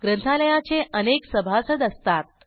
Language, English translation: Marathi, A library has many members